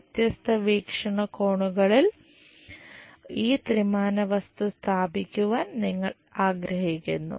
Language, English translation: Malayalam, And this three dimensional object, we would like to locate in different perspectives